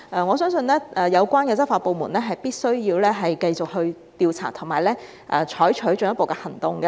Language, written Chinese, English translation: Cantonese, 我相信有關執法部門必須繼續調查及採取進一步的行動。, I believe the law enforcement agencies must continue to investigate and take further actions